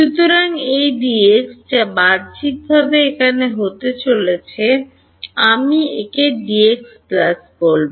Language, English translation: Bengali, So, this D x which is going outward over here I will call it D x plus